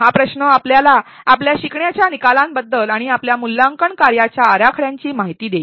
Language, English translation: Marathi, This question will inform you about your learning outcomes and in the design of your assessment tasks